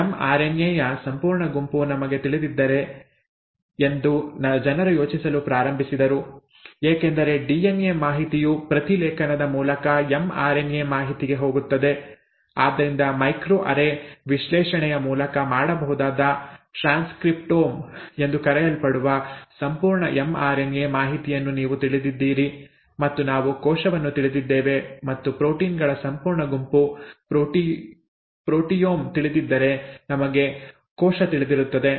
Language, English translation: Kannada, Then people started thinking, if we know the complete set of m RNA, because DNA information goes to mRNA information through transcription, so you know the complete mRNA information which is called the transcriptome which can be done through micro array analysis and so on, then we know the cell, and if you know the complete set of proteins, the proteome, we know the cell